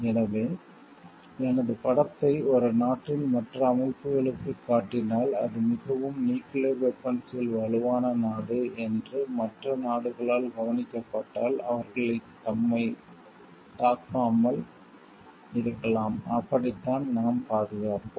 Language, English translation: Tamil, So, if I portray my image if my image gets projected to other organizations of the one countries images like, that is a very nuclear weapon strong country is getting, projected to the other countries they may not be attacking us and that is how we safeguard ourselves; so, taking this into consideration